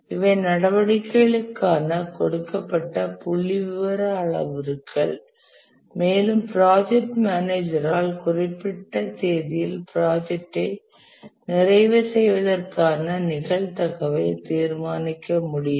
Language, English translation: Tamil, And because these are statistical parameters for the activities can be given, we can, as the project manager, determine the probability of completing the project by certain date